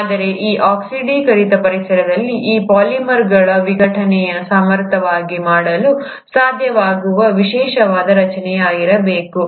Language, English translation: Kannada, But now in this oxidized environment, there had to be a specialized structure possible to efficiently do breakdown of these polymers